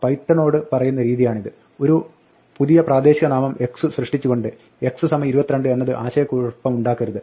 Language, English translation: Malayalam, This is the way of telling python, do not confuse this x equal to 22 with creation of a new local name x